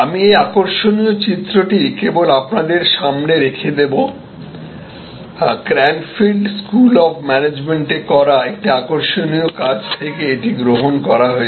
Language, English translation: Bengali, I will only leave this interesting diagram in front of you; this is adopted from one of the interesting work done at Cranfield School of Management